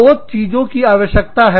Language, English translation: Hindi, Two things, that are required